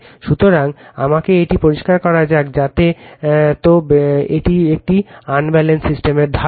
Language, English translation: Bengali, So, let me clear it, so that is all for little bit idea for unbalanced system right ok